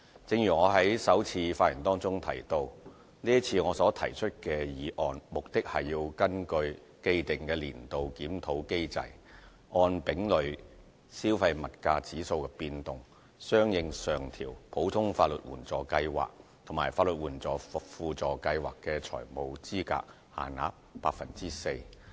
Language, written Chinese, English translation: Cantonese, 正如我在首次發言中提到，這次我所提出的議案，目的是根據既定年度檢討機制，按丙類消費物價指數的變動，相應上調普通法援計劃及法援輔助計劃的財務資格限額 4%。, As what I have said in my first speech I put forth the current motion to upwardly adjust the financial eligibility limits for the Ordinary Legal Aid Scheme and for the Supplementary Legal Aid Scheme by 4 % in accordance with the change of the Consumer Price Index C under the established annual review mechanism